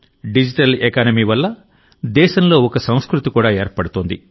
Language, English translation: Telugu, A culture is also evolving in the country throughS Digital Economy